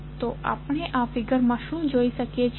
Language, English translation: Gujarati, So, what we can see from this figure